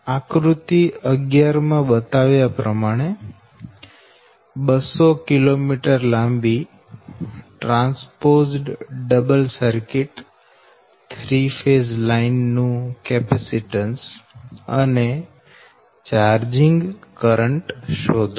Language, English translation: Gujarati, so in that case you determine the capacitance and charging current of a two hundred kilometer long transposed double circuit three phase line as shown in figure eleven